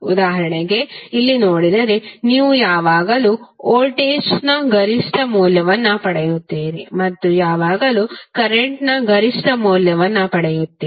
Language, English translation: Kannada, As for example if you see here, you will always get peak value of voltage and you will always get peak value of current